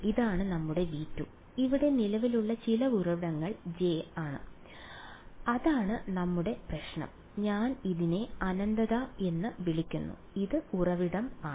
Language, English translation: Malayalam, This was our V 1 this is our V 2 and some current source over here J right that is our problem I have call this as infinity and this was source s ok